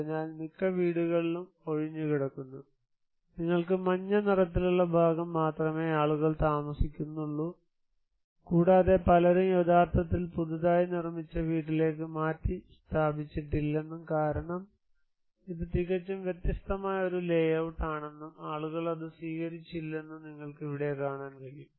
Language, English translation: Malayalam, So, most of the houses are vacant, only yellow part you can occupied and you can see here that many people did not actually relocate it to the newly constructed house because it is a totally different layout and people did not accept that one